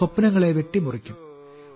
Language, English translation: Malayalam, Will carve out dreams for you